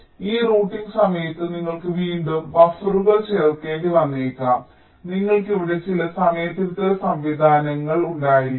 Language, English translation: Malayalam, so during this routing you may have to again insert buffers, you may have carryout some timing correction mechanisms here